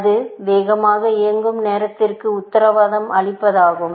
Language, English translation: Tamil, This is simply to guarantee faster running time